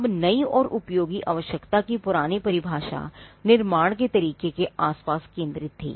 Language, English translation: Hindi, Now the new and useful requirement, was centered the old definition was centered around a manner of manufacture